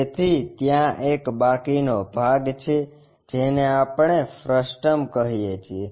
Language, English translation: Gujarati, So, there are leftover part, what we call frustum